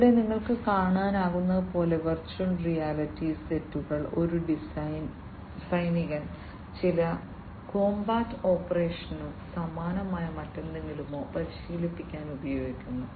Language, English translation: Malayalam, Here as you can see over here virtual reality sets are being used by a military person to, you know, to get trained with some combat operation or something very similar